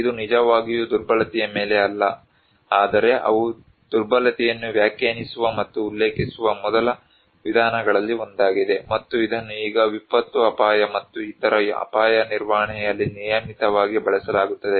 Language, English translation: Kannada, It is not really on vulnerability, but they are one of the pioneering approach that define and quoted the vulnerability and which was now very regularly used in disaster risk and other risk management